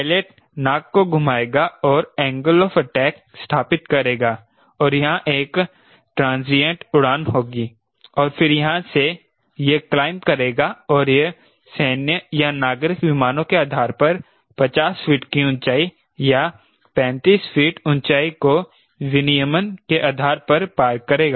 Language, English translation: Hindi, the pilot will turn the nose and set an angle of attack and it will have a transient flight here and then, from here it will claim and it should by regulation clear: fifty feet height, or a thirty five feet height, depending upon military or civil aircraft, once it satisfies its complete condition